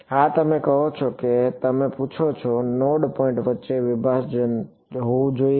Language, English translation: Gujarati, Yeah you are saying you asking, what should be the separation between the node points